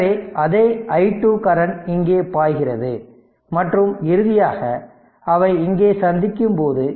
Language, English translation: Tamil, So, same i same i 2 current is flowing here right and finally, when they are meeting it here